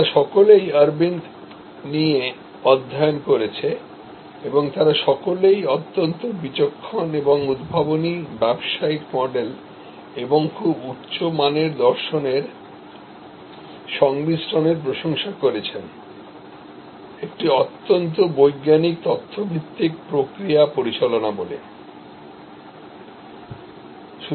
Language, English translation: Bengali, They have all studied Aravind and they have all admired this combination of high philosophy, innovative business model with very prudent, very scientific data based process management